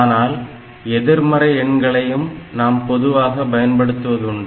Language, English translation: Tamil, So, we did not consider the negative numbers